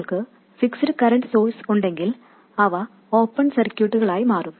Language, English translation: Malayalam, If you have fixed current sources they will become open circuits